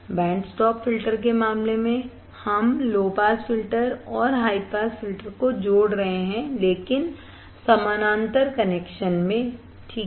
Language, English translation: Hindi, In case of band stop filter, we are connecting low pass filter and high pass filter, but in the parallel connection ok